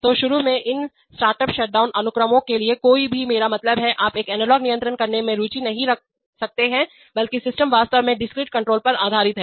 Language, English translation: Hindi, So initially for these startup shutdown sequences, nobody, I mean, you may not be interested in doing an analog controls but rather the system is actually operated based on discrete controls